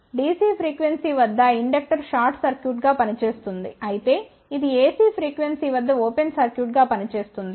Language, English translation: Telugu, There is a large inductor over here, which acts as a short circuit at dc frequency, but acts as an open circuit at A C frequency